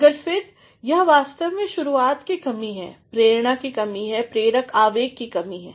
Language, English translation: Hindi, But, then it is actually the lack of initiation, the lack of that drive, the lack of that driving impulse